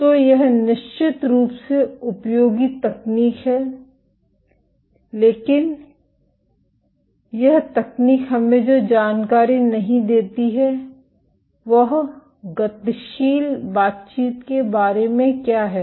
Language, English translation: Hindi, So, this is of course, useful technique, but what this information what this technique does not give us information is about dynamic interaction